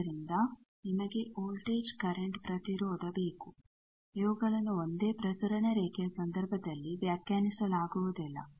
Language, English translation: Kannada, So, you need voltage current impedance these are not defined in case of a single transmission line